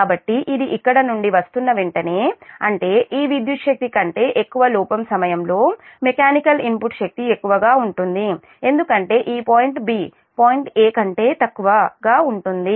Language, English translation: Telugu, so as soon as it is coming from here, so that we mechanical input power will be greater than during fault, greater than this electrical power, because this point b is below point a